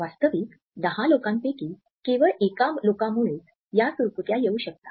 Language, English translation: Marathi, Actually only 1 in about 10 people can cause these wrinkles on purpose